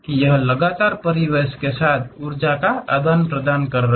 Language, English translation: Hindi, It is continuously exchanging energy with the surroundings